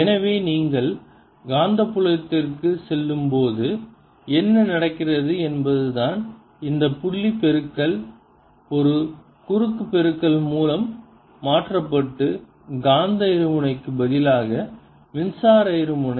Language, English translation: Tamil, so what is happening when you go to magnetic field is this dot product is getting replaced by a cross product and instead of the magnetic dipole electric dipole